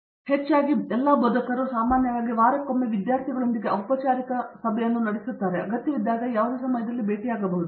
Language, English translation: Kannada, Other than that, of course all faculties usually have weekly a formal meeting with the students, other than that of course he can meet him any time whenever required and so on